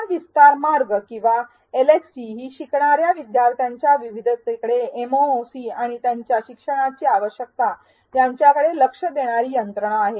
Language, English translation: Marathi, Learning Extension Trajectories or LxTs are mechanisms to address the diversity of learners in a MOOC and their learning needs